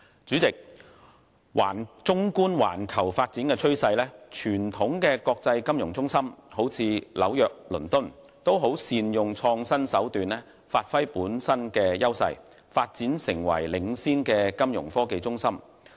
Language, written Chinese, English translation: Cantonese, 主席，綜觀環球發展趨勢，傳統的國際金融中心如紐約和倫敦均善用創新手段發揮本身優勢，發展成領先的金融科技中心。, President an overview of the global development trend shows that traditional international financial centres such as New York and London have adopted innovative means to bring their strengths into effective play and successfully developed into leading Fintech hubs